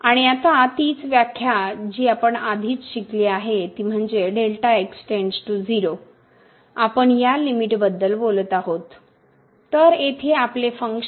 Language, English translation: Marathi, And now the same definition what we have learnt already that the delta goes to 0, we will be talking about this limit so our function here